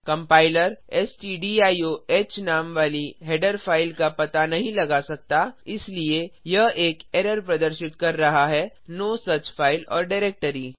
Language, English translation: Hindi, The compiler cannot find a header file with the name stdiohhence it is giving an error no such file or directory